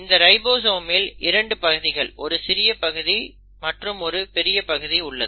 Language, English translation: Tamil, The ribosomes have 2 units; there is a small subunit and a large subunit